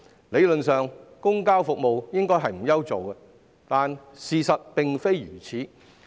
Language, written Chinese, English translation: Cantonese, 理論上，公共交通服務應該不愁沒有乘客，但事實並非如此。, In theory public transport services should have no worry about a lack of passengers but in reality that is not the case